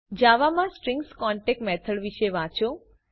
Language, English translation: Gujarati, Read about the concat method of Strings in Java